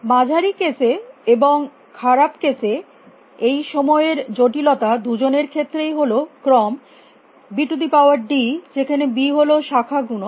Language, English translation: Bengali, On the average case, and the worst case this time complexity for both is of the order of b is to d, where b is the branching factor